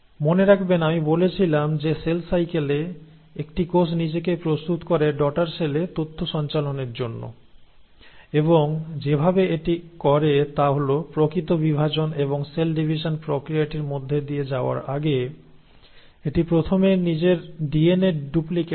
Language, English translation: Bengali, Remember I told you that in cell cycle a cell prepares itself to pass on the information to the daughter cells and the way it does that is that it first duplicates its DNA before actually dividing and undergoing the process of cell division